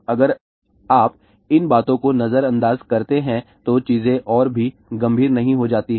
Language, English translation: Hindi, If you ignore these things , not things become even more serious